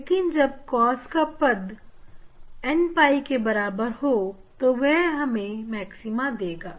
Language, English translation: Hindi, that n pi or n pi for cos term it will get maxima